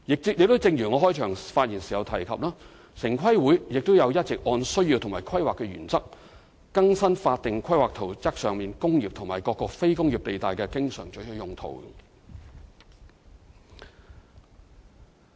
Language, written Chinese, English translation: Cantonese, 正如我在開場發言時提及，城規會亦一直有按照需要及規劃原則，更新法定規劃圖則上"工業"及各"非工業"地帶的經常准許用途。, As I have mentioned in the beginning TPB has been updating the always permitted uses in industrial and non - industrial zones on statutory town plans in accordance with the planning principle on a need basis